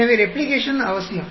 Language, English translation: Tamil, So, Replication is a must